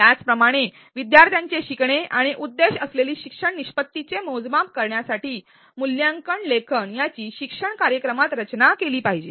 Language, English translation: Marathi, Similarly, the assessment should be designed in alignment with the teaching learning activities to measure students learning and achievement of the intended learning outcomes